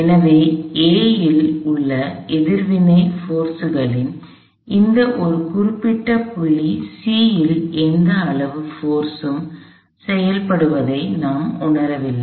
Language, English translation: Tamil, So, I do not feel any magnitude force acting at this one particular point C in the reactions forces at A